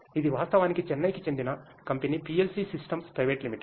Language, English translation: Telugu, It is actually a Chennai based company PLC systems private limited